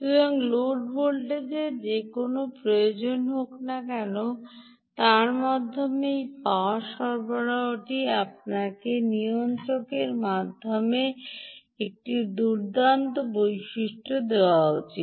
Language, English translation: Bengali, so, whatever be the load voltage requirement, this power supply, through its regulator, should give you all these nice ah features